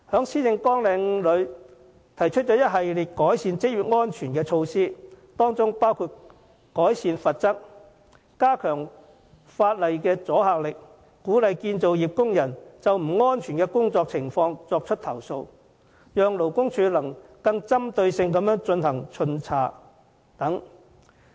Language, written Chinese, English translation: Cantonese, 施政報告提出一系列改善職業安全的措施，當中包括提高罰則，加強法例的阻嚇力，並鼓勵建造業工人舉報不安全的工作情況，讓勞工處得以更針對性地巡查等。, The Policy Address puts forward an array of measures to improve occupational safety which include increasing the penalty to strengthen the deterrent effect of the law as well as encouraging workers to report unsafe conditions in workplaces so as to facilitate more targeted inspections by the Labour Department